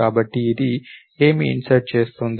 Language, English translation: Telugu, So, what is it doing insert